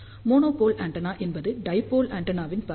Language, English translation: Tamil, Monopole antenna is half of the dipole antenna